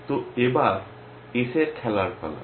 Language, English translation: Bengali, So, it is S turn to play